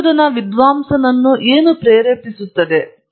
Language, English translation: Kannada, What drives the research scholar